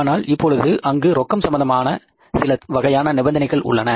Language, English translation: Tamil, But now there are certain conditions with regard to the cash